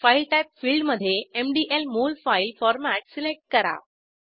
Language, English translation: Marathi, In the File type field, select MDL Molfile Format